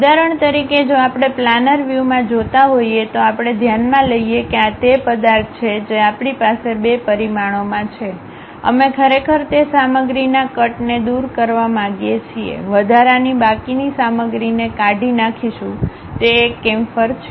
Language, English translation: Gujarati, For example, if we are looking it in the planar view, let us consider this is the object what we have in 2 dimension, we want to really remove that material cut, remove the extra remaining material if we do that we call that one as chamfer